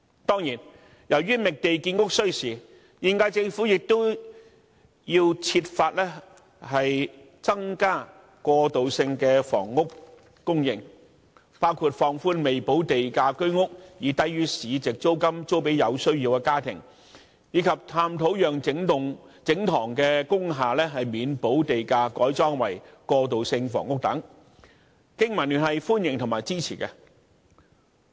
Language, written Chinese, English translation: Cantonese, 當然，由於覓地建屋需時，現屆政府亦要設法增加過渡性的房屋供應，包括放寬未補地價居屋以低於市值租金租予有需要的家庭，以及探討讓整幢工廈免補地價改裝為過渡性房屋等，經民聯歡迎和支持這些措施。, Certainly since it takes time to identify land sites for housing construction the current - term Government should also work out ways to increase the supply of transitional housing which include relaxing the restriction to allow HOS flats with premium unpaid to be rented to families in need at rents below market rentals and exploring the wholesale conversion of industrial buildings into transitional housing with payment of land premium waived . BPA welcomes and supports these measures